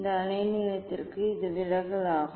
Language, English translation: Tamil, for this wavelength this is the deviation